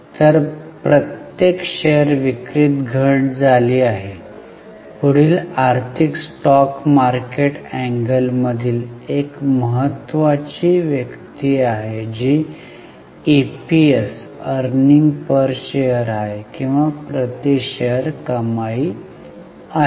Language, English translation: Marathi, The next is very important figure from financial stock market angle that is EPS or earning per share